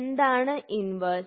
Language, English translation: Malayalam, So, what is an inverse